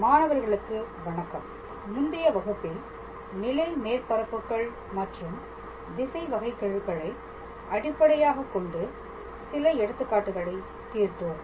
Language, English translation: Tamil, Hello students, so, in the last class we were solving some examples based on level surfaces and directional derivative